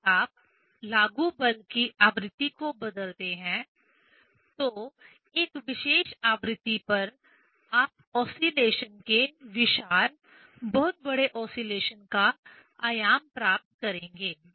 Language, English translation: Hindi, If you change the frequency of the applied force, at a particular frequency you will get huge, very large oscillation amplitude of the oscillation